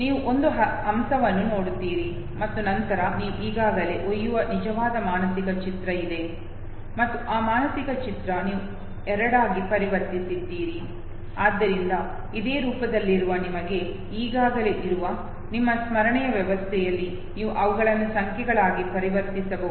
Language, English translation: Kannada, You see a swan okay, and then you can now made out know that there is an actual mental image that you already carry, and that mental image now you have converted into two, so likewise all forms that you have already with you, in your memory system, you can convert them into numbers okay